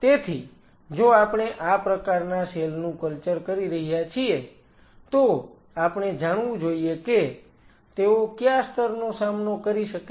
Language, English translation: Gujarati, So, if we are culturing these kinds of cells, we should know that what is the level they can withstand